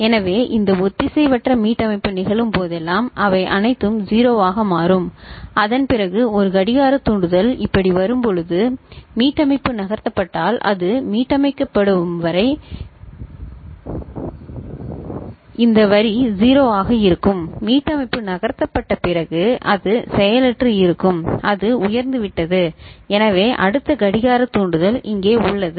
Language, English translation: Tamil, So, whenever this asynchronous reset occurs all of them become 0, after that when a clock trigger comes like this, the reset has moved so as long as it is reset this line will remain 0 ok, after the reset is moved so it is become you know, inactive right it has become high so next clock trigger is here